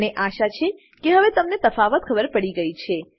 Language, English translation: Gujarati, I hope the difference is clear to you now